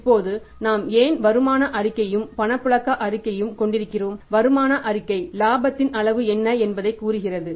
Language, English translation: Tamil, Income statement is telling us what is the extent of profit and cash flow statement is telling us what is the extent of cash profits